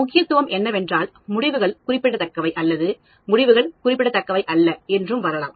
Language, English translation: Tamil, Significance is the results are significant or the results are not significant